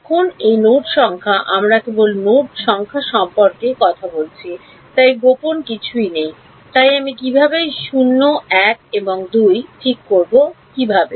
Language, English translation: Bengali, Now these are node numbers we only talking about node numbers there is nothing secret what is so, so how do how do I fix which is 0 1 and 2